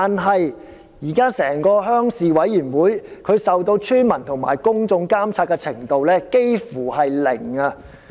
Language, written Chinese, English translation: Cantonese, 可是，現時鄉事會受村民和公眾監察的程度卻差不多是零。, However at present the role of villagers and members of the public in the supervision of RCs is almost zero